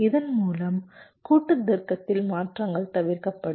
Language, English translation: Tamil, thereby transitions in the combinational logic will be avoided